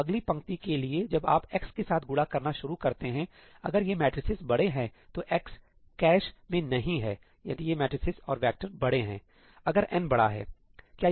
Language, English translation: Hindi, So, for the next row when you start multiplying that with x, x is not in the cache if these matrices are large, if these matrices and vectors are large, if n is large